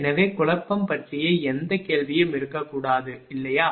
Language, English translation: Tamil, So, there should not be any question of confusion, right